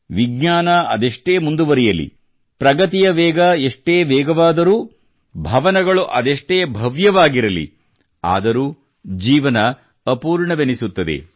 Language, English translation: Kannada, However much science may advance, however much the pace of progress may be, however grand the buildings may be, life feels incomplete